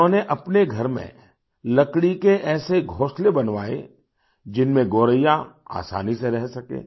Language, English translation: Hindi, He got such wooden nests made in his house where theGoraiya could dwell easily